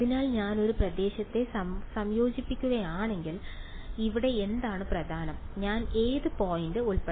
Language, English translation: Malayalam, So, if I integrate over a region, what is important over here I should include what point